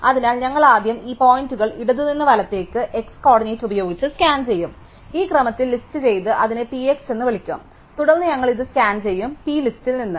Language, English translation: Malayalam, So, we will first scan these points by x coordinate from left to right and we will list it in this order and call it P x, then we will scan this, the list P from